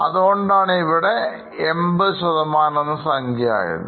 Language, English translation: Malayalam, That's why this percentage is very high as much as 80%